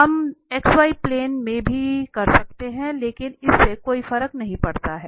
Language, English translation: Hindi, We can do on x z plane as well, but it does not matter